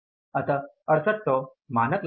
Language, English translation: Hindi, So, it is 6800 was the standard cost